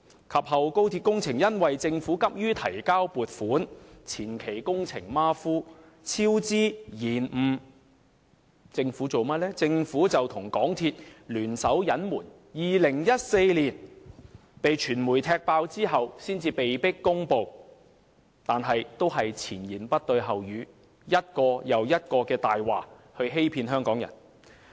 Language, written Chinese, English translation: Cantonese, 之後，高鐵工程因為政府急於提交撥款申請，前期工程馬虎，出現超支及延誤，而政府卻與港鐵公司聯手隱瞞，直至傳媒在2014年"踢爆"事件後，他們才被迫公開情況，但仍是前言不對後語，以一個又一個謊言來欺騙香港人。, Subsequently the XRL project ran into cost overrun and works delay because the Government submitted the funding request in too much haste and all the necessary advance works were done sloppily . But the Government and MTRCL simply worked in collusion to keep all this from the public . It was not until 2014 when the media uncovered the problems that they were forced to make disclosure